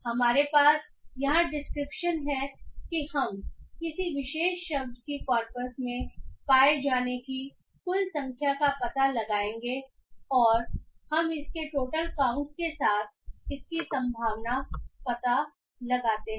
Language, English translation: Hindi, So we have the description here where we what we do is that we would find the total number of times a particular word that occurred in the corpus and we just find the probability of it with its total count